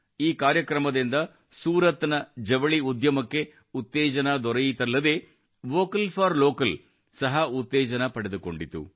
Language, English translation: Kannada, This program not only gave a boost to Surat's Textile Industry, 'Vocal for Local' also got a fillip and also paved the way for Local to become Global